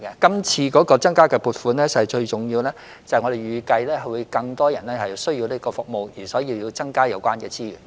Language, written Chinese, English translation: Cantonese, 這次增加撥款最重要的原因是，我們預計會有更多人需要這項服務，所以有需要增加有關資源。, The most important reason for increasing funding this time is that we anticipate there will be greater demand for such service so it is necessary to increase the relevant resources